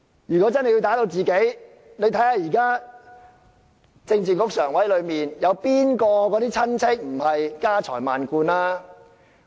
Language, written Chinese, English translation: Cantonese, 如果真的會打擊自己人，請大家看看，在現時政治局常委中，哪個的親戚不是家財萬貫？, If friends could also become the target how come current Members of the Politburo Standing Committee are still safe and sound? . Who doesnt have relatives that are filthy rich?